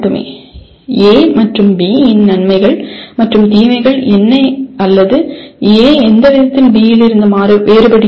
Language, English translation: Tamil, What are the advantages and disadvantages of A and B or in what way A differs from B